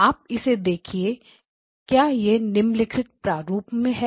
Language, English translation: Hindi, You visualize it, is it in the following manner